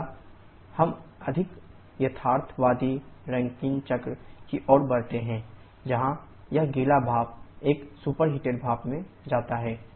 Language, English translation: Hindi, Next we move to the more realistic Rankine cycle where this wet steam we go to the superheated steam